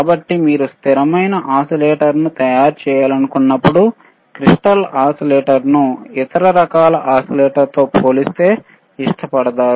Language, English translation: Telugu, So, when you have, when you want to have a stable when you want to design a stable oscillator, the crystal oscillators are preferred are preferred over other kind of oscillators